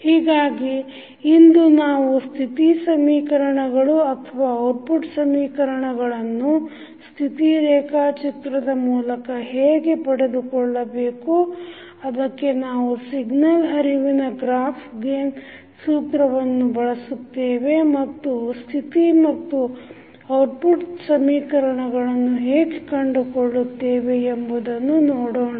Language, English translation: Kannada, So, we will see today that how state equation or output equations can be obtained with the help of state diagram for that we use signal flow graph gain formula and find out the state and output equations